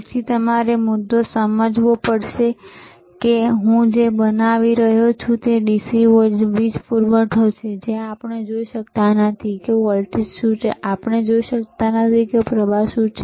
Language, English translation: Gujarati, So, you have to understand this thing, the point that I am making, is thisthis is the DC power supply where we cannot see what is the voltage is, we cannot see what is the current rightis